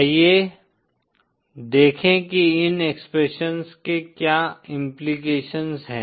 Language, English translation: Hindi, Let us see what are the implications of these expressions